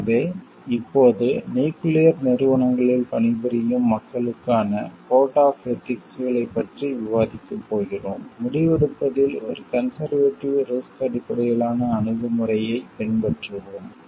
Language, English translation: Tamil, So, now, we are going to discuss code of ethics specifically for people working in nuclear agencies, adopt a conservative risk based approach to decision making